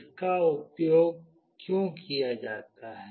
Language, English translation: Hindi, Why it is used